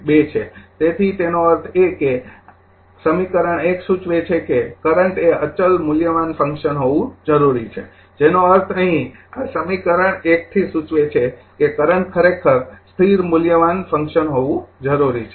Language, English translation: Gujarati, 2 right so; that means, equation 1 suggest that current need to be a constant valued function that means, here from this equation 1 it suggest that current actually need to the constant valued function right